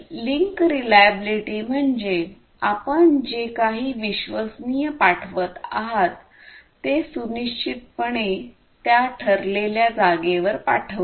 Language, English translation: Marathi, So, that link reliability means that you have to ensure that whatever you are sending reliably which is the destination